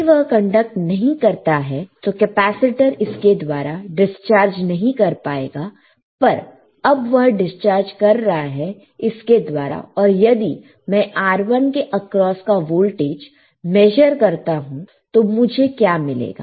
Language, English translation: Hindi, If it is not conducting capacitor cannot discharge through this, but now it is the discharging through this part and then in the resistor across R1, right, here if I measure voltage across R 1, what will I find